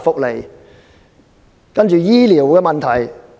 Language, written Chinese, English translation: Cantonese, 接着是醫療的問題。, Health care services will be the next